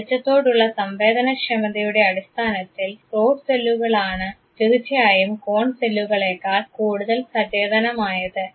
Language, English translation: Malayalam, In terms of sensitivity to light rod cells of course, are more sensitive compared to the cone cells